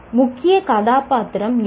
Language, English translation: Tamil, Who was the key character